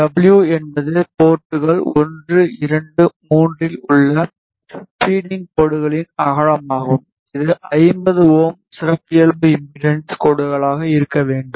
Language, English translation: Tamil, So, W is the Feeding line width at ports 1 2 3 which should be 50 ohm characteristic impedance lines